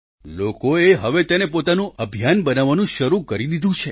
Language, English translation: Gujarati, People now have begun to take it as a movement of their own